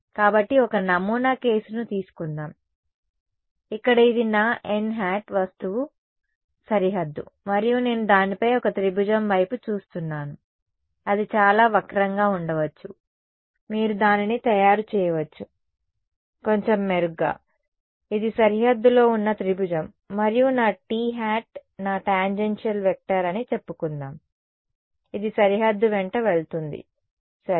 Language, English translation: Telugu, So, let us take a sample case over here this is my n hat my object boundary right and I am just looking at one triangle on it may it is too skewed, may be you can just make it a little better this is the triangle on the boundary and let us say that my t hat is my tangential vector it goes along the boundary ok